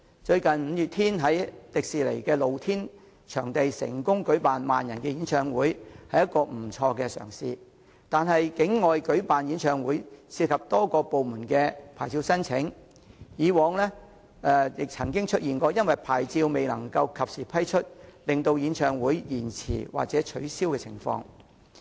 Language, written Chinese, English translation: Cantonese, 最近五月天樂團在香港迪士尼樂園的露天場地成功舉辦萬人演唱會，那是不錯的嘗試，但戶外舉辦演唱會涉及多個部門的牌照申請，過往亦曾出現因牌照未能及時批出而令演唱會延遲或取消的情況。, Recently a pop band Mayday has held a concert accommodating some 10 000 persons in the open space at Hong Kong Disneyland and that has been a fairly successful attempt . However holding an outdoor concert involves licences applied from a number of departments . In the past there were occasions when concerts were postponed or cancelled because the relevant licences were not granted in a timely manner